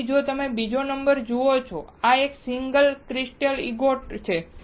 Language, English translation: Gujarati, So, if you see second number, this is a single crystal ingot